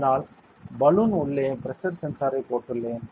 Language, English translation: Tamil, So, I have put the pressure sensor inside the balloon ok